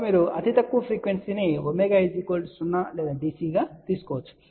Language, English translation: Telugu, So, you can take the lowest frequency as omega equal to 0 or DC